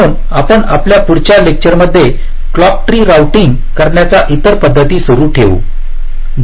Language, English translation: Marathi, so we continue with other implementations of clock tree routing in our next lecture